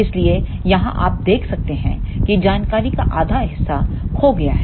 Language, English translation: Hindi, So, here you can see that the half of the information is lost